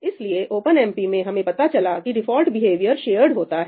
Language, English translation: Hindi, So, in OpenMP we will come to that the default behavior is shared